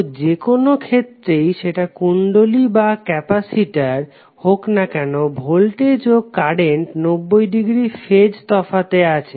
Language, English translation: Bengali, Then both of the cases, whether it is inductor and capacitor voltage and current would be 90 degree out of phase